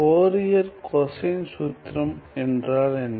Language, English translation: Tamil, What is Fourier cosine formula